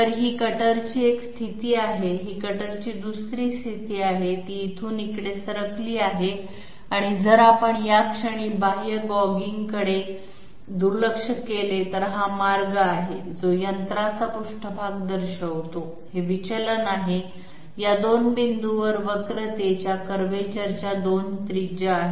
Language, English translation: Marathi, So this is one position of the cutter, this is another position of the cutter, it has moved from here to here and if we ignore external gouging at this moment then this is the path, which shows the machine surface, this is the deviation, these are the 2 radii of curvature at these 2 points